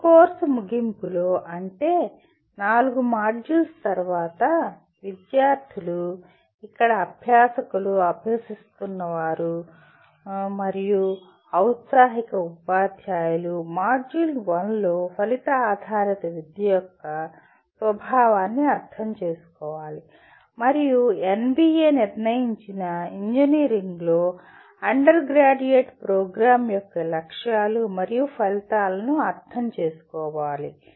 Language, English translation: Telugu, At the end of this course, that is after the 4 modules, the students, here the learners are practicing and aspiring teachers should be able to in module 1 understand the nature of outcome based education and objectives and outcomes of an undergraduate program in engineering as required by NBA